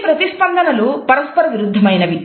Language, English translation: Telugu, These responses are contradictory